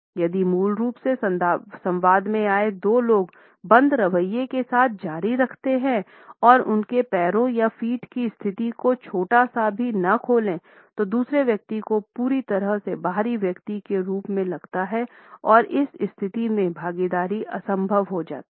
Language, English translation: Hindi, If the two people who had originally been in the dialogue continue with a closed attitude and do not open their position of the feet or legs even a small bit; the other person feels totally as an outsider and the participation becomes impossible in this position